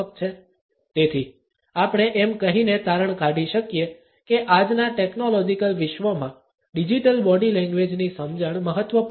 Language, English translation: Gujarati, So, we can conclude by saying that in today’s technological world, the understanding of Digital Body Language is important